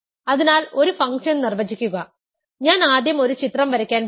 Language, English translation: Malayalam, So, define a function so, I am going to first draw a picture